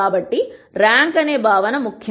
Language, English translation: Telugu, So, the notion of rank is important